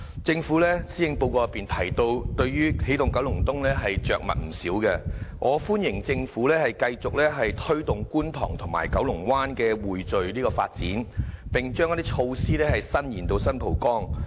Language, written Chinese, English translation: Cantonese, 政府在施政報告對"起動九龍東"的着墨不少，我歡迎政府繼續推動觀塘和九龍灣的匯聚發展，並將一些措施伸延至新蒲崗。, The Policy Address devotes quite a long treatment to Energizing Kowloon East . I welcome the Governments continued efforts to build up the development momentum in Kwun Tong and Kowloon Bay and its plan to extend some of the initiatives to San Po Kong